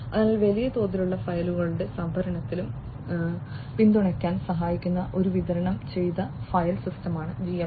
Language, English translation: Malayalam, So, GFS is a distributed file system that helps in supporting in the storing, storage of large scale files